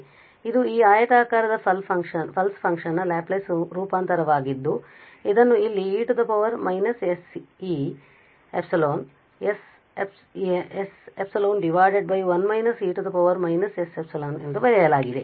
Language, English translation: Kannada, So, this is the Laplace transform of this rectangular pulse function which is written here e power minus s a over s epsilon and then 1 minus s epsilon